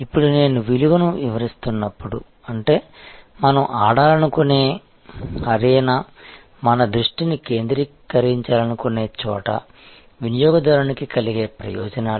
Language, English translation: Telugu, Now, as I was explaining the value, which is therefore, the arena ever where we want to play, where we want to focus our attention is the perceived benefits to customer